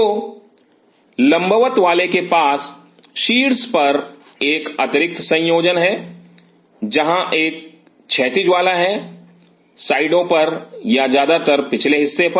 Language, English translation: Hindi, So, the vertical once have an additional attachment at the top, where is the horizontal once have on the sites or on the back mostly on the back